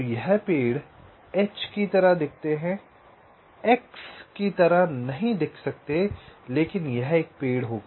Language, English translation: Hindi, many look like h, may not look like x, but it will be a tree nevertheless